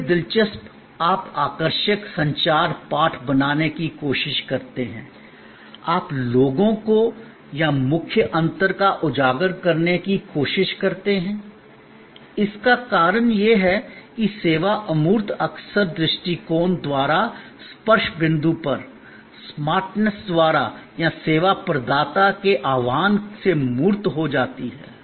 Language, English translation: Hindi, Other interesting you try to create catchy communications text, you try to highlight that people or the key differentiate, this because the service intangible often becomes tangible at the touch point by the attitude, by the smartness or by the callousness of the service provider